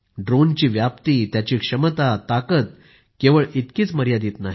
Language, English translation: Marathi, The spectrum of a drone's usage and its capabilities is not just limited to that